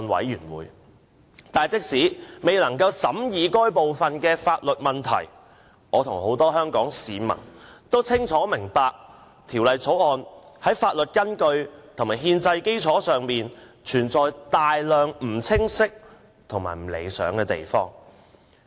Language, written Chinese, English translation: Cantonese, 然而，即使我未能參與審議有關的法律問題，我與很多香港市民也清楚明白，《條例草案》在法律依據和憲制基礎上，存有大量不清晰及不理想的地方。, However even though I could not participate in the deliberations of the relevant legal issues I together with many Hong Kong people are fully aware that in respect of the legal justification and constitutional basis of the Bill many areas are still unclear and undesirable